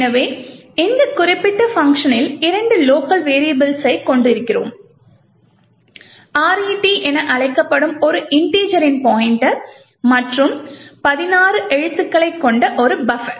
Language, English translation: Tamil, So, in this particular function we have two locals we have pointer to an integer which is known as RET and a buffer which is of 16 characters